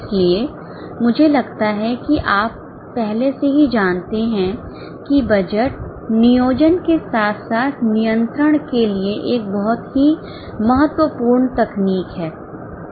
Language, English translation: Hindi, So, I think you already know that budget is a very important technique for planning as well as control